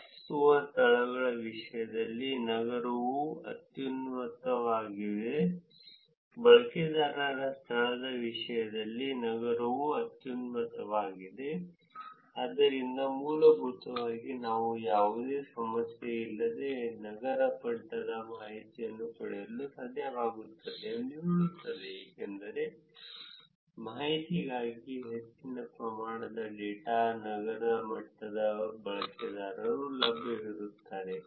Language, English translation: Kannada, City is highest in terms of places lived, city is highest in terms of user location also, so that basically says that we should be able to actually get the city level of information without any problem, because large amount of data for the information about the users is available at the city level